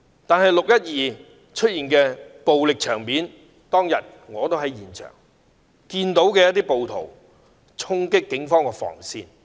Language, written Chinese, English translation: Cantonese, 可是，在"六一二"出現的暴力場面，我當天也在現場，我看到一些暴徒衝擊警方防線。, On 12 June however there were scenes of violence . I was there then . I saw some rioters charge at the police cordon lines